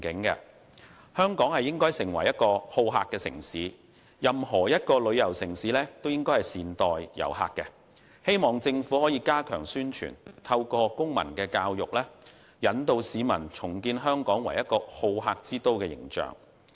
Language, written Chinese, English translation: Cantonese, 首先，香港應發展成為好客城市，任何一個旅遊城市都應該善待遊客，政府宜加強宣傳，透過公民教育，引導市民重建香港作為好客之都的形象。, First Hong Kong should be developed into a hospitable city . All tourist destinations should be friendly to their tourists . The Government should step up publicity and civic education to guide the public to reconstruct Hong Kongs image as a hospitable city